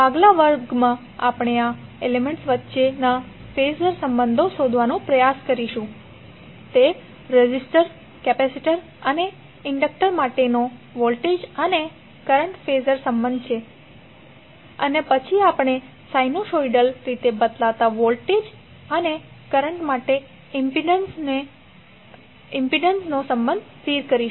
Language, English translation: Gujarati, So in next class we will try to find out the phasor relationship between these elements, that is the voltage and current phasor relationship for resistor, capacitor and inductor and then we will stabilize the relationship of impedance for the sinusoidal varying voltage and current